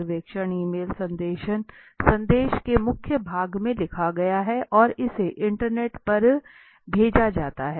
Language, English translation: Hindi, Survey is written within the body of the email message and it is sent over the internet